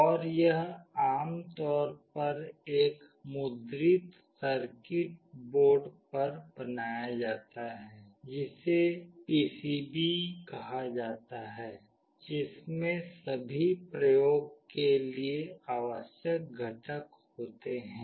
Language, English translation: Hindi, And, it is generally built on a printed circuit board that is called PCB containing all the components that are required for the experimentation